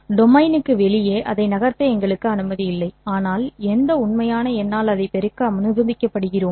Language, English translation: Tamil, We are not allowed to move it outside the domain, but we are allowed multiply it by any real number